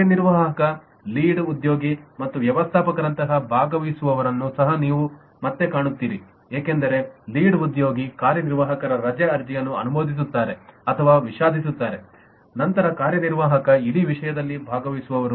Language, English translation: Kannada, and you also find lot of participants like executive lead and manager again, because if the lead is approving or regretting the leave application of an executive, then the executive is a participant in the whole thing